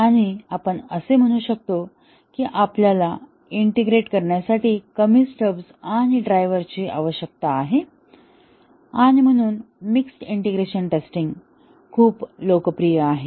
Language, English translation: Marathi, And we would typically write, we will typically integrate such that we need less number of stubs and drivers to be written and therefore, mixed integration testing is quite popular